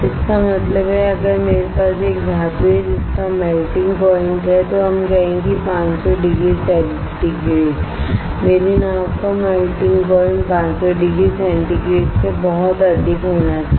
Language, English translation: Hindi, That means if I have a metal which has a melting point of let us say 500 degree centigrade my boat should have a melting point which is very higher than 500 degree centigrade